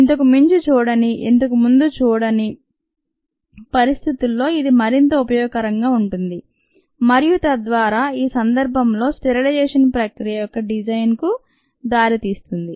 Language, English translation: Telugu, it makes it a lot more useful in situations that has not been seen earlier relevant situation that have not been seen earlier, and thereby it leads to design of a sterilization processes